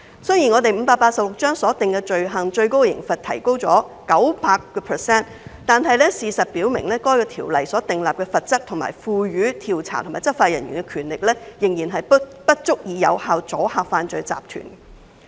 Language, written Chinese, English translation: Cantonese, 儘管第586章所訂罪行的最高刑罰提高了 900%， 但事實表明該條例所訂立的罰則，以及賦予調查及執法人員的權力，仍不足以有效阻嚇犯罪集團。, Even though the maximum penalties of offences under Cap . 586 were increased by 900 % the fact remains that neither the penalties under the Ordinance nor the powers it confers to investigators and enforcers are sufficient to effectively deter criminal organizations